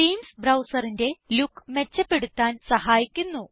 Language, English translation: Malayalam, So you see, Themes help to improve the look and feel of the browser